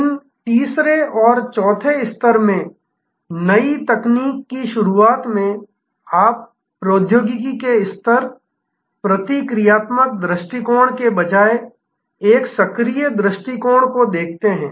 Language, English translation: Hindi, In introduction of new technology in these the 3rd and 4th level, you see a proactive approach rather than a reactive approach to technology